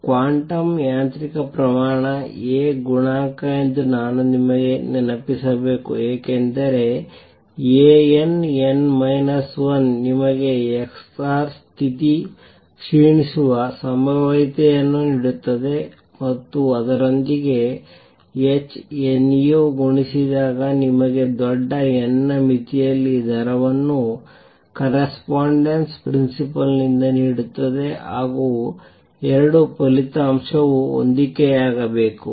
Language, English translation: Kannada, This I should remind you is a quantum mechanical quantity A coefficient because A n, n minus 1 gives you the probability through which the x r state decays and with that multiplied by h nu gives you the rate in the large n limit by correspondence principle the 2 result should match